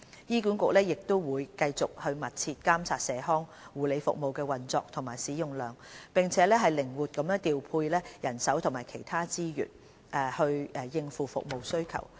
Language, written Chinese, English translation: Cantonese, 醫管局會繼續密切監察社康護理服務的運作和使用量，並靈活調配人手及其他資源，應付服務需求。, HA will continue to keep a close watch on the operation and usage of the community nursing services and to cope with the service demand through the flexible allocation of manpower and other resources